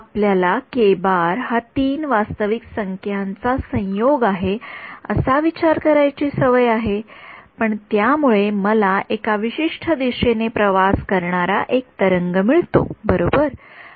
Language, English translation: Marathi, We are used to thinking of k as a combination of three real numbers and that gives me a wave traveling in a particular direction right